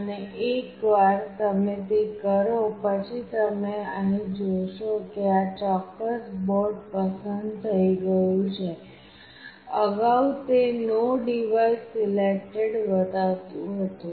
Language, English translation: Gujarati, And once you do that you will see here that this particular board got selected, earlier it was showing no device selected